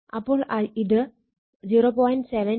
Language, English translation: Malayalam, So, this is 0